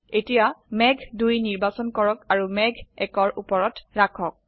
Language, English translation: Assamese, Now, select cloud 2 and place it on cloud 1